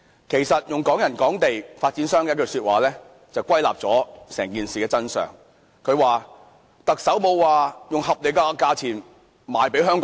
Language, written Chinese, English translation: Cantonese, 其實，對於"港人港地"，用發展商的一句話便歸納了整件事的真相，發展商說，特首沒有指明以合理價錢賣給香港人。, In fact concerning Hong Kong property for Hong Kong residents a remark from the developer can summarize the truth of the whole thing . According to the developer the Chief Executive has not clearly stated that the housing units can be sold to Hong Kong buyers at reasonable prices